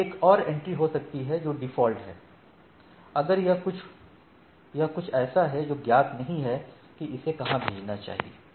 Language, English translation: Hindi, There could have been another entry here that is default, if it is something which is not known where it should forward to right